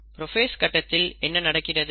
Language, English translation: Tamil, So what happens in prophase